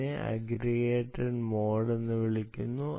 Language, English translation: Malayalam, this is called aggregated, aggregated ah mode